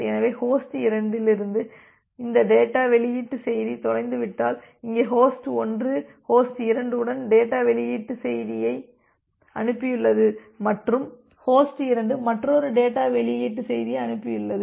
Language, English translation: Tamil, So, if this data release message from host 2 got lost, so here host 1 has sent a data release message with host 2 received and host 2 has sent another data release message